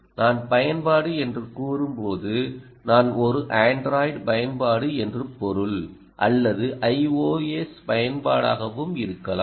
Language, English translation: Tamil, when i say app, i mean ah, an android app, or it can also be a i o s app